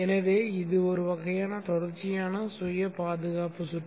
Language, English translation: Tamil, So this is a kind of a continuous self protection circuit